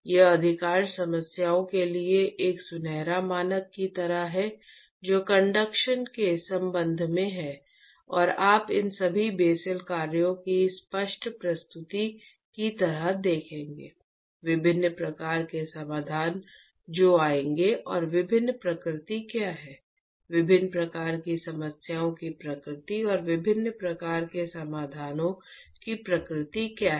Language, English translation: Hindi, This is by far like a golden standard for most of the problems that has dealt with in relationship with conduction and you will see like explicit presentation of all these Bessel functions, various kinds of solutions that will come about and what are the different nature what is the nature of different kinds of problems and what is the nature of different kinds of solutions